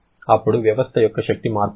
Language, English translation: Telugu, Then, how much is the energy change of the system